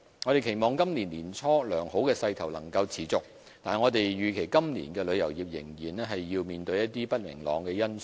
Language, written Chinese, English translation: Cantonese, 我們期望今年年初的良好勢頭能夠持續，但預期今年旅遊業仍要面對一些不明朗的因素。, While we hope this good momentum in early 2017 can be maintained the tourism industry is still expected to face some uncertainties in the year to come